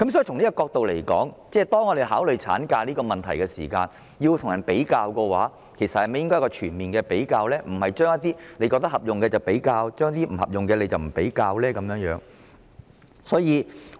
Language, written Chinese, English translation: Cantonese, 從這角度而言，當政府考慮產假的問題時，政府應與其他地方進行全面比較，而非選取對自己有利的地方進行比較，不利的便不選取。, From this angle I think that when the Government considers the issue of ML it should draw a comprehensive comparison with other places rather than choosing those places that are favourable to itself and dispensing with those that are not in its comparison